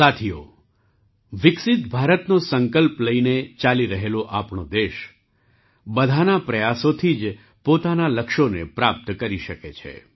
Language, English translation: Gujarati, Friends, our country, which is moving with the resolve of a developed India, can achieve its goals only with the efforts of everyone